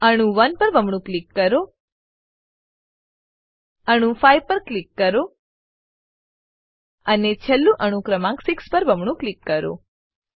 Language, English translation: Gujarati, Double click on atom 1, click on atom 5 and lastly double click atom number 6